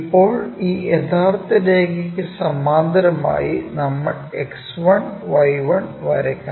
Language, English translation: Malayalam, So, parallel to the true line, we are drawing this X 1, Y 1 axis